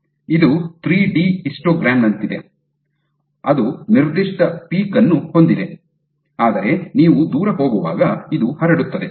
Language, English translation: Kannada, It is like a 3 d histogram which has a given peak, but it also has a spread as you go far out